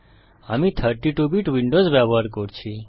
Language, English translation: Bengali, I am using 32 bit Windows